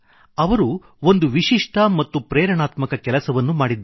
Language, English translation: Kannada, He has done an exemplary and an inspiring piece of work